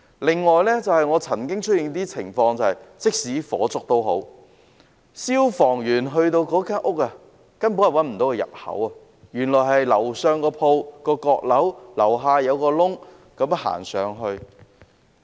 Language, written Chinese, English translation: Cantonese, 另外，曾經出現一些情況，便是即使發生火警，消防員到達有關單位，卻根本找不到入口，原來上層店鋪的閣樓須在下層一個入口走上去。, Besides there were cases before that when a fire broke out the firemen could not find the entrance when they arrived at the unit concerned because in order to reach the mezzanine floor of a shop they had to use one of the entrances downstairs